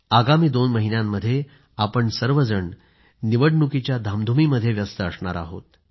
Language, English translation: Marathi, In the next two months, we will be busy in the hurlyburly of the general elections